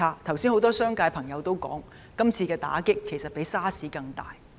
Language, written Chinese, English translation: Cantonese, 剛才有多位商界朋友也指出，今次的打擊比 SARS 更大。, As also pointed out by a number of Members from the business sector the impact created this time around is even greater than that of SARS